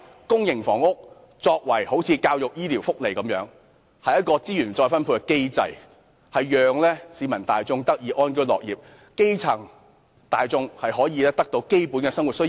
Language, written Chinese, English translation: Cantonese, 公營房屋政策便一如教育、醫療及福利般，是資源再分配的機制，讓市民大眾得以安居樂業，基層市民可以滿足基本生活需要。, A public housing policy is no different from the policies for education health care and social welfare in the sense that it likewise serves as a mechanism for redistributing resources to enable the general public to live and work in contentment and to satisfy the basic living needs of grass - roots people